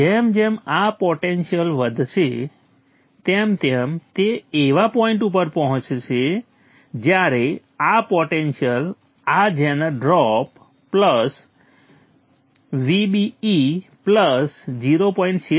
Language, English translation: Gujarati, As this potential is rising, it will reach a point when this potential will be higher than this zener drop plus VBE plus